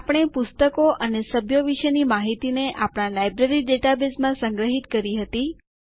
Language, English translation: Gujarati, We have stored information about books and members in our Library database